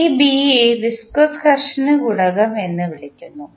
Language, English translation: Malayalam, This B is called a viscous friction coefficient